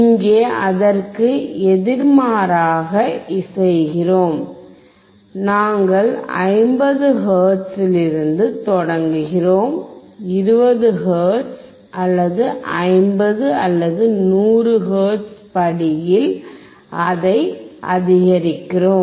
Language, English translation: Tamil, Here we are doing opposite, we start from 50 hertz, we increase it at a step of 20 hertz or 50 or 100 hertz does not matter when we will see the experiment